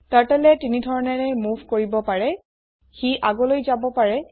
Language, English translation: Assamese, Turtle can do three types of moves: It can move forwards